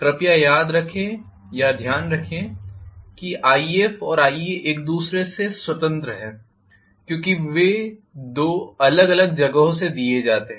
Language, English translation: Hindi, Please remember or notice that you are going to have Ia and If independent of each other because they are supplied from two different you know entities